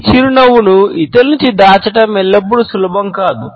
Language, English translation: Telugu, It is not always easy to conceal this smile from others